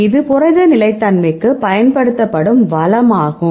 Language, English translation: Tamil, So, it is only a used resource for protein stability